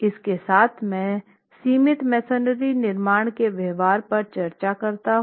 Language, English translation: Hindi, With that I conclude the discussion on the behavior of confined masonry constructions